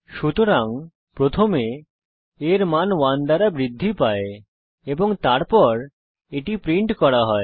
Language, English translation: Bengali, So the value of a is first incremented by 1 and then it is printed